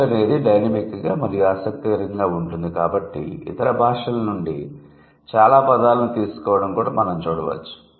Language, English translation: Telugu, Then considering language is dynamic and language is interesting, we can also see a lot of borrowing from other languages